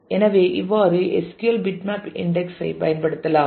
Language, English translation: Tamil, So, this is how bitmap indexing can be used in SQL